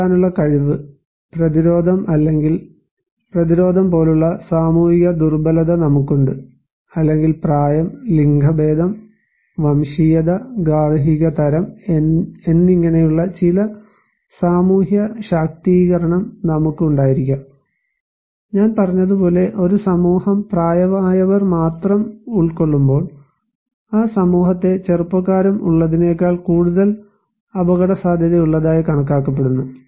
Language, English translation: Malayalam, We have the social vulnerability like, coping ability, resistance or resilience or we could have some social empowerment like, age, gender, ethnicity, household type as I said that younger people are when a society is comprising only by elder people, the society is considered to be more vulnerable than when there are younger people also